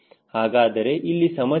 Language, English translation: Kannada, what is the problem